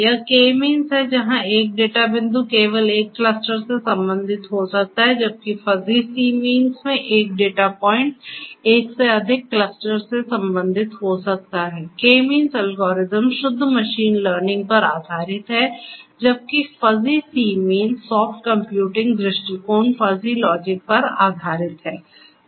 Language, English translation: Hindi, So, this is this K means where one data point may belong to only one cluster whereas in Fuzzy c means one data point may belong to more than one cluster K means algorithm is based on pure machine learning whereas, Fuzzy c means is based on soft computing approach fuzzy logic